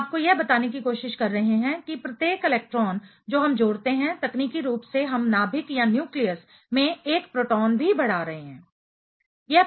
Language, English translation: Hindi, We are trying to tell you that for each electron we add, technically we are also increasing 1 proton at the nucleus